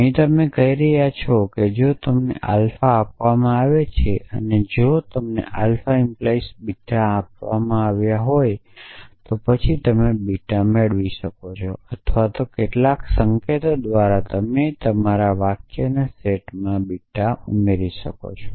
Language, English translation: Gujarati, Essentially, you are saying that if you are given the alpha and if you are given alpha implies beta, then you can derive beta or in some signs you can add beta to your set of sentences